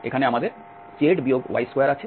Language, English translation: Bengali, Here we have z minus y square